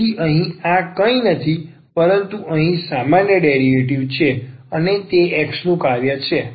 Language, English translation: Gujarati, So, here this is nothing, but the ordinary derivative here dI over dx and this is a function of x